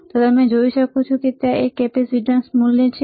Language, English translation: Gujarati, Can you see there is a capacitance value